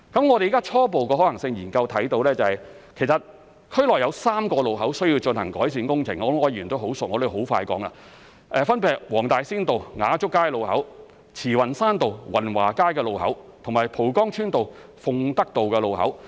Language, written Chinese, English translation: Cantonese, 我們現時在初步的可行性研究中看到，其實區內有3個路口需要進行改善工程——我相信柯議員十分熟悉，我會很快地說——分別是黃大仙道雅竹街路口、慈雲山道雲華街路口及蒲崗村道鳳德道路口。, As indicated in the preliminary results of the Study three junctions in the district will need improvement works―I believe Mr OR is very familiar with them and I will quickly enumerate them―the junction of Nga Chuk Street at Wong Tai Sin Road the junction of Wan Wah Street at Tsz Wan Shan Road and the junction of Fung Tak Road at Po Kong Village Road